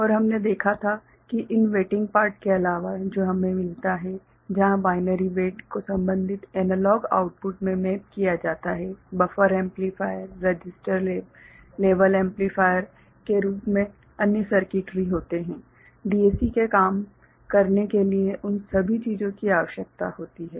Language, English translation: Hindi, And we had seen that other than these weighting part that we get where the binary weights get mapped to the corresponding analog output, there are other circuitry in the form of buffer amplifier, register, level amplifier all those things are required to make a DAC work